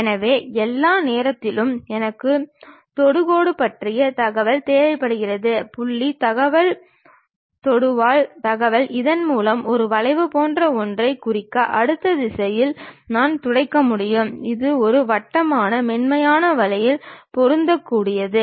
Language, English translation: Tamil, So, all the time I need information about tangent, the point information the tangent information so that I can sweep in the next direction to represent something like a curve which can be fit in a smooth way as circle